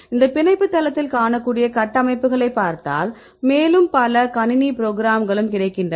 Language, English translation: Tamil, So, you can look at structures you can see this binding site, and also a lot of several computer programs available